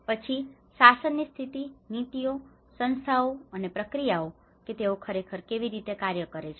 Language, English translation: Gujarati, And then the governance situation, the policies, institutions and the processes how they actually work